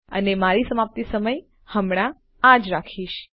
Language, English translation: Gujarati, And my expiry time Ill just keep as this